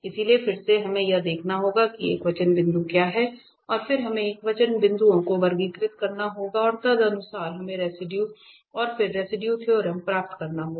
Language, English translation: Hindi, So, again we have to look for what are the singular points and then we have to classify the singular points and accordingly we have to get the residue and then the residue theorem